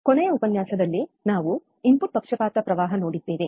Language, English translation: Kannada, So, last lecture, we have seen the input bias current, right